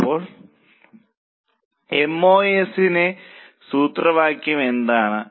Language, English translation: Malayalam, Now what is a formula of MOS